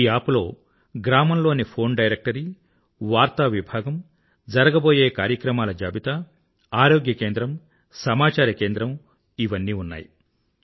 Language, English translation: Telugu, This App contains phone directory, News section, events list, health centre and information centre of the village